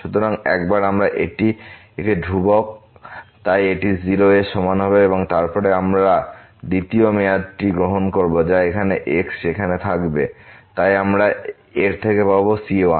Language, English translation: Bengali, So, once we this is a constant so this will be equal to 0 and then we take the second term which will be having here there so we will get the out of this